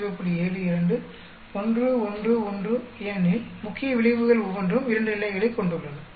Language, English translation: Tamil, 72, 1, 1, 1 because each of the main effects has 2 levels